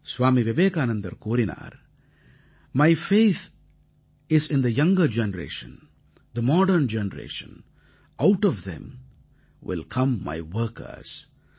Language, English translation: Tamil, Swami Vivekanand ji had observed, "My faith is in the younger generation, the modern generation; out of them will come my workers"